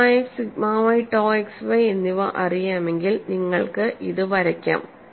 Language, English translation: Malayalam, So, this gives you, if you know sigma x sigma y and tau x y, it is possible to plot